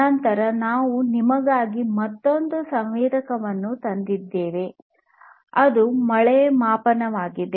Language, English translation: Kannada, Then, we I have also brought for you another sensor which is the rain gauge right